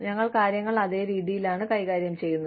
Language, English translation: Malayalam, We are dealing with things, in the same manner